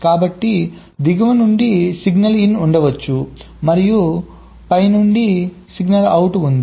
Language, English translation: Telugu, so on, from bottom there can be a signal s in, and from top three can be a signal s out